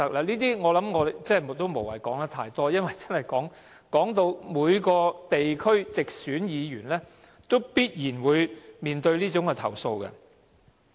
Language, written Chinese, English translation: Cantonese, 這些情況，我不需說太多，因為每位地區直選議員都必然面對相關投訴。, I need not say too much about such situations for all directly elected Members must have received relevant complaints